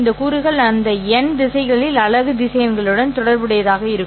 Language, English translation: Tamil, These components will be associated with the unit vectors along those n directions